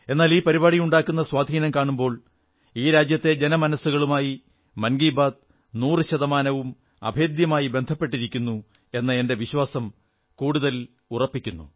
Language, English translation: Malayalam, But whenever I look at the overall outcome of 'Mann Ki Baat', it reinforces my belief, that it is intrinsically, inseparably woven into the warp & weft of our common citizens' lives, cent per cent